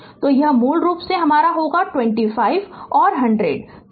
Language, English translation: Hindi, So, it will be basically your ah it is your 25 and 100